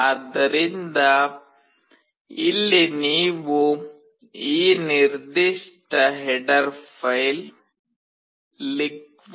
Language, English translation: Kannada, So, here also you need to include this particular header file that is LiquidCrystal